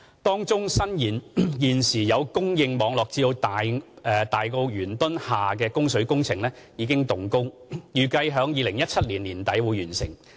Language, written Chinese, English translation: Cantonese, 當中伸延現有供水網絡至大埔元墩下的供水工程已經動工，預計於2017年年底完成。, Amongst them the works for supplying treated water to Yuen Tun Ha Tai Po has commenced and is scheduled for completion by the end of 2017